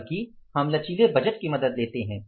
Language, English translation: Hindi, We take the help of flexible budgets